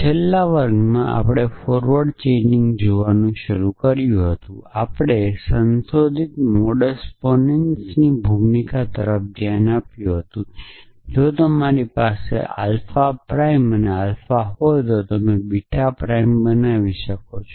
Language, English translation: Gujarati, So, in the last class, we had started looking at forward chaining we had looked at the role of modified modus ponens mindset that if you have alpha prime and alpha implies beta then you can produce beta prime from there